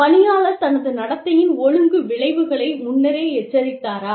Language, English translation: Tamil, Was the employee, fore warned of the disciplinary consequences, of his or her conduct